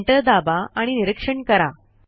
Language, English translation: Marathi, Let us press Enter and see what happens